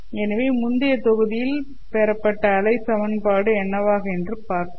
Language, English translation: Tamil, Now we will look at the wave equation